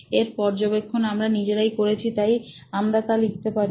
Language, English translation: Bengali, This is something that we observed you can write that down